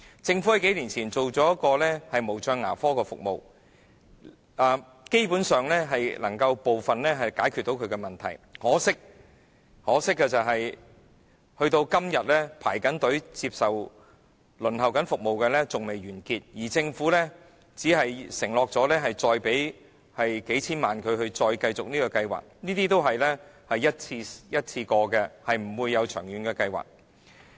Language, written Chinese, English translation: Cantonese, 政府在數年前設立無障牙科服務，基本上可解決部分問題，可惜直至今天，仍然有人在輪候接受服務，而政府只承諾再次撥款數千萬元以繼續有關的計劃，但這只是一次過的撥款，並非一項長遠計劃。, The Government introduced special care dentistry a few years ago and basically part of the problem has been solved . Unfortunately there are still people waiting to use this service even now and the Government has only undertaken to allocate tens of millions of dollars to extend the relevant programme but this is only a one - off grant rather than a long - term programme